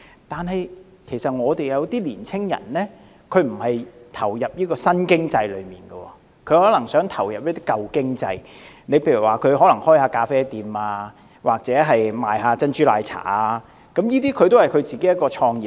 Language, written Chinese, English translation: Cantonese, 但是，有些青年人並不想投入這些新經濟產業，而是想從事一些舊經濟產業，例如開設咖啡室或賣珍珠奶茶，這些也算是創業。, However some young people may not want to join these new economic sectors but would like to develop in the old economic industries such as operating a café or selling bubble tea which is also a start - up business